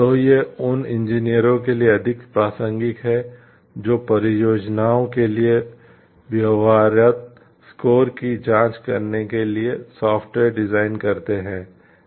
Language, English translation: Hindi, So, this is more relevant for engineers who design software s to check feasibility scores for projects